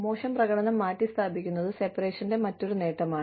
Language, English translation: Malayalam, Replacement of poor performance is another benefit of separation